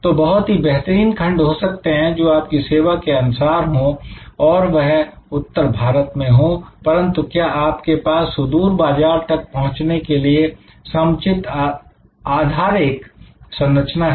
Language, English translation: Hindi, So, there may be a excellent segment for your kind of service in north east India, but do you have the infrastructure to access the that sort of remote market